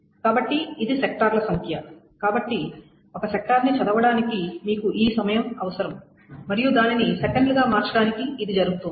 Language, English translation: Telugu, So this is the number of sector that is where so to read one sector you require this amount of time and to convert it into seconds